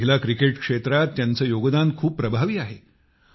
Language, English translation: Marathi, Her contribution in the field of women's cricket is fabulous